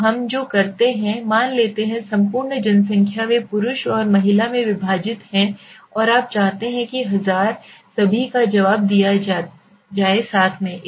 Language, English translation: Hindi, So what we do is suppose the entire population they are divided into male and female and you want 1000 responded all together